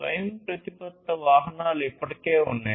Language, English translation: Telugu, Autonomous vehicles are already in place